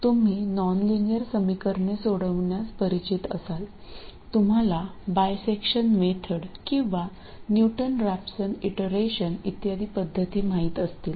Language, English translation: Marathi, So, you may be familiar with solving nonlinear equations, you may be familiar with methods like bisection method or Newton Rapson iteration and so on